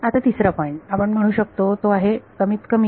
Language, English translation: Marathi, Now, the third point we can say is that minimum is